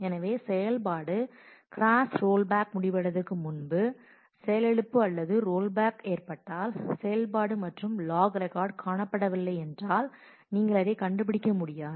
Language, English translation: Tamil, So, if the crash or rollback occurs before the operation completes, then operation and log record is not found you will not find it